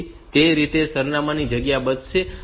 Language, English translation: Gujarati, So, that way it is going to save the address space